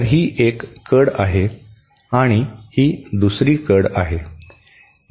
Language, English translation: Marathi, So, this is one edge and this is another edge